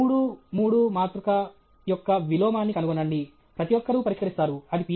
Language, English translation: Telugu, Find the inverse of a three by three matrix; everybody will solve; that is not a Ph